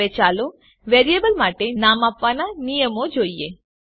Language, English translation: Gujarati, Now let us see the naming rules for variables